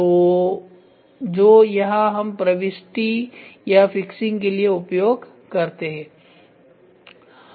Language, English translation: Hindi, So, where in which we use it for insertion or fixing